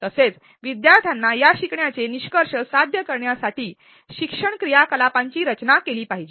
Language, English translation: Marathi, Also the learning activities should be designed to enable the students to achieve these learning outcomes